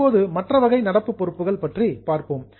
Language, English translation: Tamil, Now, the other type is current liability